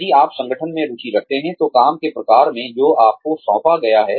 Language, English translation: Hindi, If you are interested in the organization, in the type of work, that you are assigned